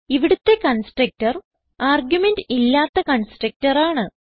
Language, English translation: Malayalam, The constructor here is the no argument constructor